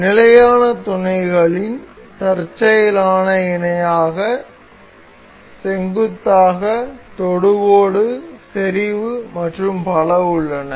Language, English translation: Tamil, So, in standard mates there are coincident parallel perpendicular tangent concentric and so on